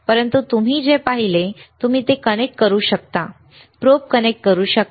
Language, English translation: Marathi, There is another thing right, but what you have seen is you can connect it, connect the probe